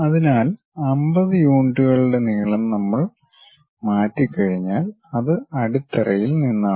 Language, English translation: Malayalam, So, once we transfer that 50 units is the length, so that is from the base